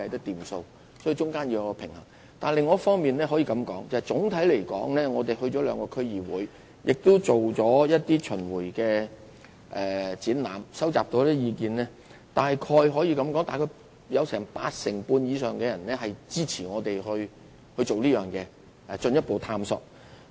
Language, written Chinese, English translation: Cantonese, 不過，在另一方面，我可以告訴大家，總體而言，在我們諮詢兩個區議會及舉辦若干巡迴展覽後收集所得的意見中，約有八成半以上人士支持我們進行這項工作及作進一步探討。, Nevertheless from another point of view I can tell everyone that generally speaking and according to the views received in our consultation with the two District Councils and the roving exhibitions launched about 85 % or more respondents supported our initiatives to develop underground space and carry out further study on the plan